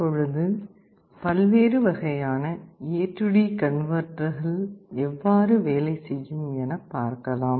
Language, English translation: Tamil, Now let us come to the different types of A/D converter and how they work